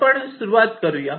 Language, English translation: Marathi, so we start with this